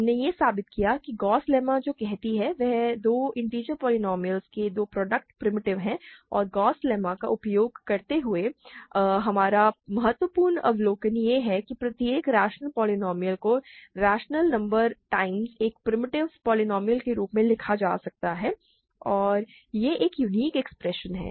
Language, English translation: Hindi, We proved that Gauss lemma which says that two product of two primitive polynomials is primitive and using the Gauss lemma, our important observation is that every rational polynomial can be written as rational number times a primitive polynomial and that is a unique expression